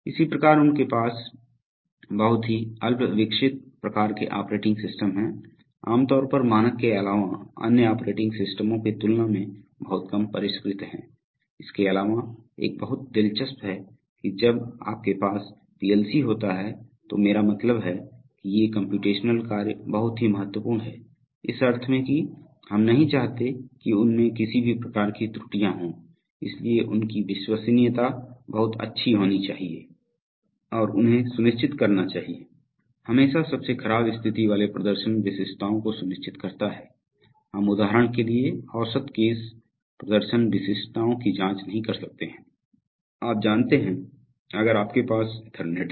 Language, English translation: Hindi, Similarly they have very rudimentary kind of operating systems much less, generally much less sophisticated than standard other operating systems like UNIX, apart from that, but one thing is very interesting that when you have a PLC, I mean these computational tasks are very mission critical in nature in the sense that, we do not want to have any kind of errors in them, so they should have very good reliability and they should ensure, always ensure worst case performance specifications, we cannot check average case performance specifications like for example, you know, if you have Ethernet